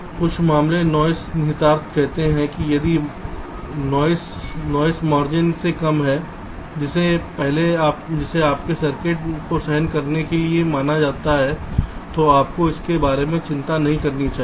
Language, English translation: Hindi, so some simple noise implication says that if the noise is less than the noise margin which your circuit is suppose to tolerate, then you should not worry about it